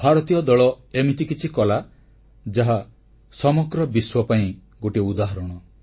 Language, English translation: Odia, The Indian team did something that is exemplary to the whole world